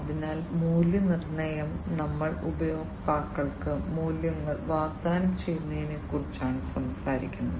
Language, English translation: Malayalam, So, value proposition we are talking about offering values to the customers